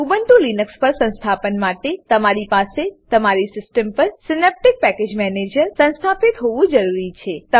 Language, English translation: Gujarati, For Ubuntu Linux installation, you must have Synaptic Package Manager installed on your system